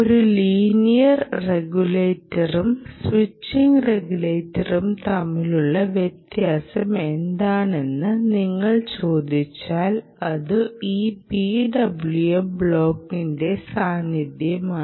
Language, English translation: Malayalam, so if you ask what is the difference between a linear regulator and a switching regulator, the presence of the p w m block essentially holds the key into this particular way of working